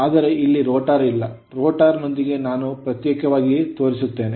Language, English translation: Kannada, But rotor not here, rotor will I will show you separately right